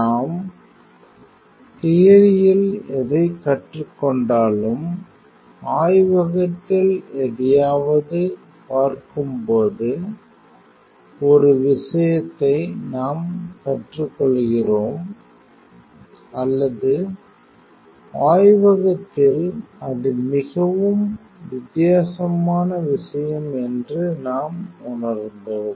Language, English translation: Tamil, So, whatever we learn in theories one thing when we look something in the lab or we experienced that in the lab is a very different thing